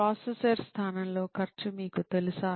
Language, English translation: Telugu, Do you know the cost of the replacing a processor